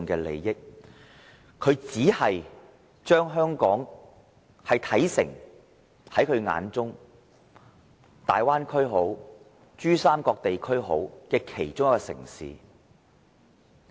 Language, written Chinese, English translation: Cantonese, 另一方面，他只是將香港視為大灣區或珠三角地區的其中一個城市。, On the other hand he only regards Hong Kong as one of the cities in the Greater Bay Area or the Pearl River Delta Region